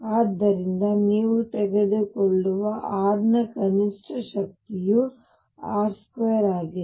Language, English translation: Kannada, So, the minimum power of r that you take is r square